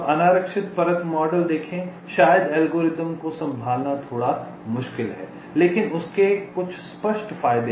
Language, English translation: Hindi, now see unreserved layer model, maybe little difficult to handle algorithmically but has some obvious advantages